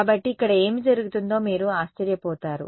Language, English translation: Telugu, So, you wonder what is going on over here